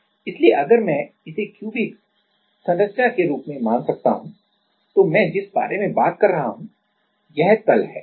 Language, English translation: Hindi, So, if I if you can assume this as a cube cubic structure then, what I am talking about is this plane ok